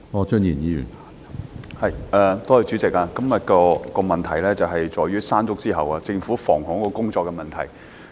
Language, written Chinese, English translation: Cantonese, 主席，今天的質詢是關於在"山竹"之後，政府在防洪工作上的問題。, President this question today is about the Governments flood prevention work after the onslaught of typhoon Mangkhut